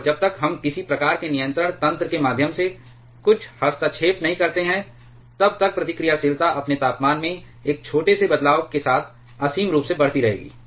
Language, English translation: Hindi, And unless we put some kind of intervention through some kind of controlling mechanism, the reactivity will keep on increasing infinitely with even a small change in its temperature